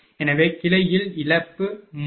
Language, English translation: Tamil, So, loss in branch 3